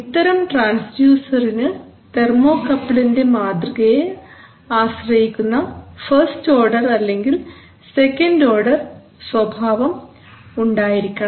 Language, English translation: Malayalam, So for such transducers we have a first order instrument character first order or second order so that will depend on the modeling of the, of the thermocouple